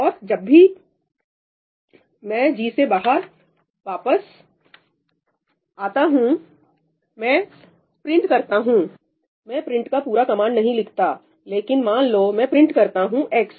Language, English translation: Hindi, Now, when I come back and I print I am not writing the full print command, but, let us say, I print x what is going to get printed